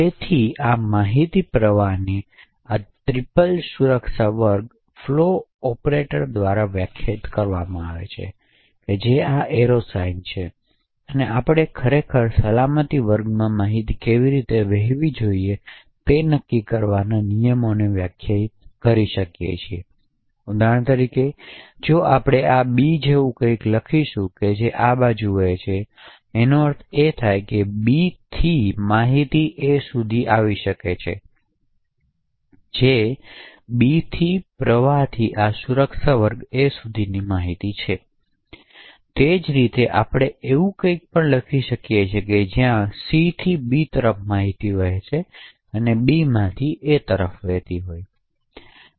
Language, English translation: Gujarati, So this information flow is defined by this triple security class, flow operator which is this arrow sign and then join relationship, so we can actually define rules to decide how information should flow across the security classes, for example if we write something like this B flows to A, it would mean that information from B can flow to A that is information from B flow to this security class A, similarly we could also write something like this where information from C flows to B and information from B flows to A